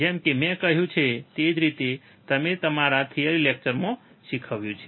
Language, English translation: Gujarati, So, like I said and I have taught you in my theory class